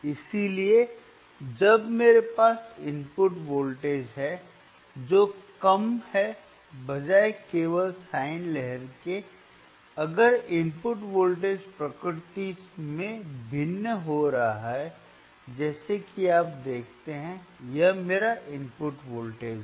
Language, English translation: Hindi, So, when I have the input voltage, which is less, right instead of just a sine viewwave, if input voltage which is is varying in nature which is varying in nature like you see, this is my input voltage